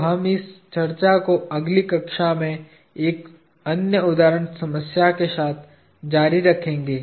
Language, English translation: Hindi, So, we will continue this discussion with another example problem in the next class